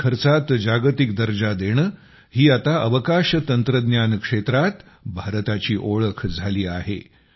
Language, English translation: Marathi, In space technology, World class standard at a low cost, has now become the hallmark of India